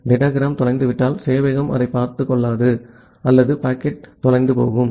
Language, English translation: Tamil, If a datagram is being lost the server does not take care of that or the packet get lost